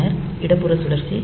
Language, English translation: Tamil, that it will rotate left